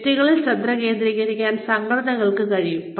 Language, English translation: Malayalam, Organizations could focus on individuals